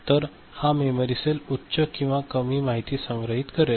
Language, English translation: Marathi, So, this is the way this memory cell is storing information, high or low